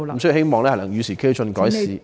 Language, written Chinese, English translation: Cantonese, 所以希望能與時俱進，改善法例。, therefore I hope we can progress with the times by improving the legislation